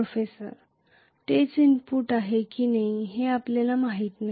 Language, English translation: Marathi, We do not know whether it is the same input